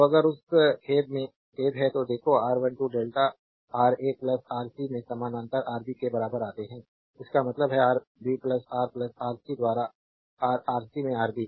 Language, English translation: Hindi, So, if you come to that sorry that look R 1 2 delta is equal to Rb parallel to Ra plus Rc; that means, Rb into Ra plus Rc by Rb plus Ra plus Rc